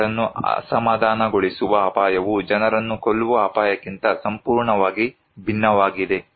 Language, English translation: Kannada, The risk that upset people are completely different from than the risk that kill people